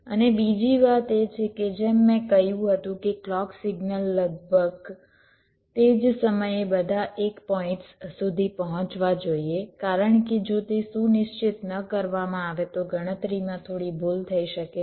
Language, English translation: Gujarati, and another thing is that, as i said, that the clock signal should reach all the l points approximately at the same time, because if it is not ensured, then there can be some error in computation